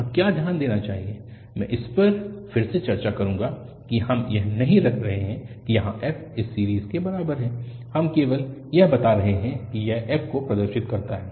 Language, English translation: Hindi, What one should note here that, I will discuss this again, we are not putting that f is equal to this series here, we are just telling that this is a representation of the f